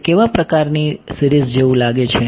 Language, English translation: Gujarati, What kind of series does it look like